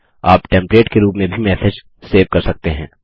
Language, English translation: Hindi, You can also save the message as a template